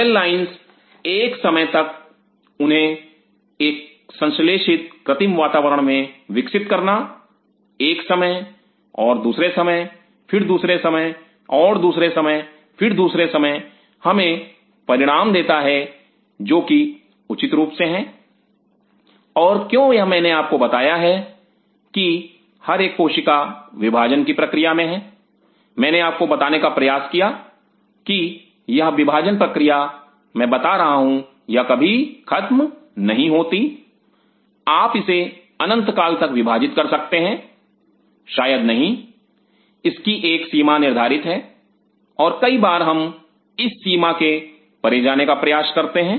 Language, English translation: Hindi, Cell lines over period of time growing them in an synthetic artificial conditions time and again time and again time and again time and again gives us results which are fairly and why is it I told you that every cell is this division process, what I tried to tell you is this division process what I am telling is it never ending you can divide it forever possibly no it has a threshold limit and many a times we do push it beyond that limit